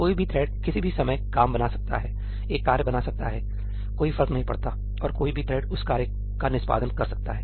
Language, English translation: Hindi, Any thread at any point of time can create work, can create a task does not matter; and any thread could end up executing that task